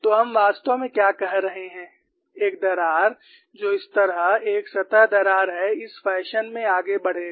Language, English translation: Hindi, So, what we are actually saying is a crack, which is a surface crack like this would proceed in this fashion